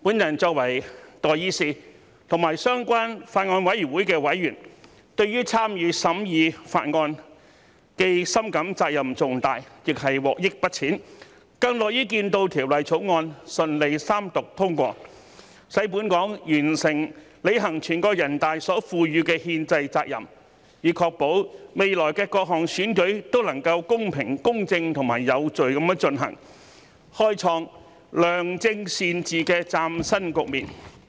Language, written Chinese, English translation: Cantonese, 我作為代議士和相關法案委員會的委員，對於參與審議法案，既深感責任重大，亦獲益不淺，更樂於見到《條例草案》順利三讀通過，使本港完成履行全國人大所賦予的憲制責任，以確保未來的各項選舉都能夠公平、公正及有序地進行，開創良政善治的嶄新局面。, In my capacity as an elected representative and a member of the relevant Bills Committee I have felt deeply the burden of the responsibilities but I have also benefited greatly during the process . I am more than happy to see the passage of the Third Reading of the Bill which will enable Hong Kong to fulfil its constitutional responsibility conferred by the National Peoples Congress so as to ensure that future elections will be conducted in a fair impartial and orderly manner with a view to creating a new order of good governance